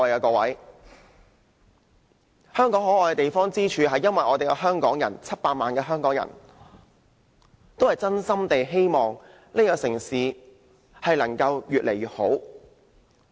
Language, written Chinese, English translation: Cantonese, 各位，香港可愛之處在於700萬香港人也是真心希望這個城市可以越來越好。, Honourable Members Hong Kong is lovely for the 7 million people of Hong Kong sincerely hope that this city will grow better